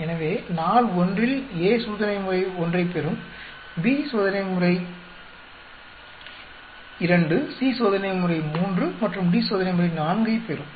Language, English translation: Tamil, So, on day one, A will be getting treatment 1, B will be getting treatment 2, C will be getting treatment 3 and D will be getting treatment 4